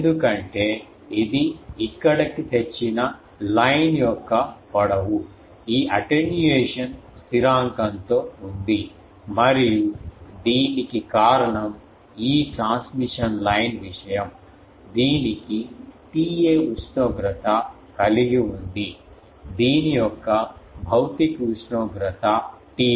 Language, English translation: Telugu, Because this is one thing that this much length with this attenuation constant of the line that has brought here and this is for this is due to the, this transmission line thing, the thing has a T A temperature the physical temperature of this is T 0